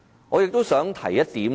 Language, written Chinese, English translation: Cantonese, 我亦想提出一點。, I wish to raise another point